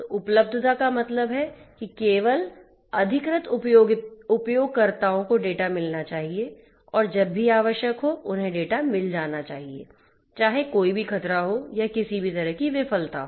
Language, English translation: Hindi, So, availability means that only the authorized users must guest access to the data, but they must get access to the data whenever IT is required; irrespective of whether there is any threat or there is any of any kind